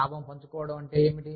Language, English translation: Telugu, What is profit sharing